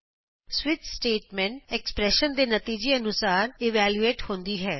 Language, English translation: Punjabi, Switch statement is evaluated according to the result of the expression